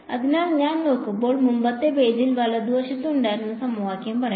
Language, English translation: Malayalam, So, when I look at let us say the equation that we had on the previous page right